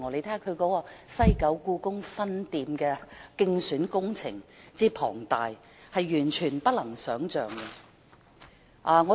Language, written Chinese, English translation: Cantonese, 她的"西九故宮分店"競選工程之浩大，是完全無法想象的。, Her West Kowloon Palace Museum Branch as an electioneering project is really inconceivable in scale and dimensions